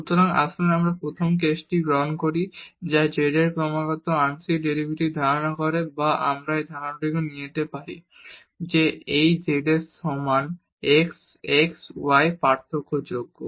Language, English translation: Bengali, So, let us take the first case lets z posses continuous partial derivatives or we can also take this assumption that this z is equal to f x y is differentiable